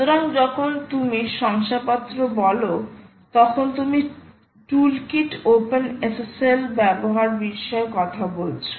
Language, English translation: Bengali, so when you say certificates, you are talking about the use of toolkit, openssl